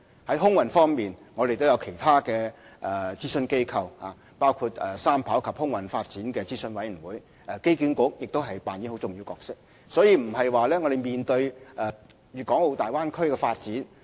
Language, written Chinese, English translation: Cantonese, 在空運方面，我們亦有其他諮詢機構，包括航空發展與機場三跑道系統諮詢委員會，而機管局亦擔當重要角色。, On the aviation front there are other advisory organizations including the Aviation Development and Three - runway System Advisory Committee and AA also plays a very significant role